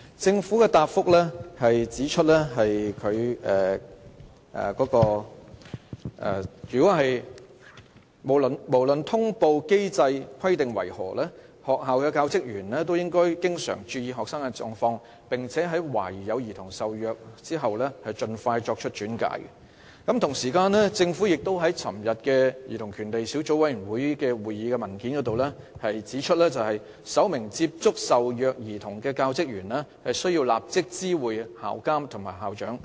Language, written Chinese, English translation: Cantonese, 政府在主體答覆中指出，"無論通報機制的規定為何，學校教職員也應經常注意學生的狀況，並在懷疑有兒童受虐後盡快作出轉介"。與此同時，在政府就昨天舉行的兒童權利小組委員會會議提交的文件中指出，"首名接觸受虐兒童的教職員須立即知會校監/校長"。, As the Government has pointed out in the main reply [i]rrespective of the number of consecutive days required for reporting students non - attendance under the mechanism the staff of schools should pay attention to students condition regularly and make referral as early as possible As pointed out by the Government in the paper submitted for the meeting of the Subcommittee on Childrens Rights held yesterday [t]he first person in contact of the child should inform the school supervisorprincipal